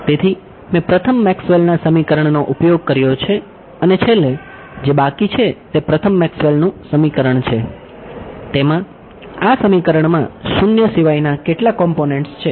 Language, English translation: Gujarati, So, I have used the first Maxwell’s equation and finally, what is left is the first Maxwell’s equation; In that, how many components are there which are non zero in this equation